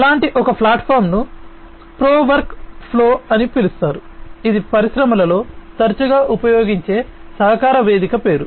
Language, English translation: Telugu, One such platform is named known as pro work flow that is the name of a collaboration platform that is often used in the industries